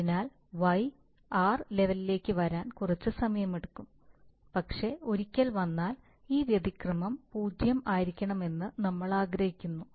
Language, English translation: Malayalam, So y will have to, y will take some time to come to the level of r but once it comes we want that this error will be 0, we want zero steady state error, this is our wish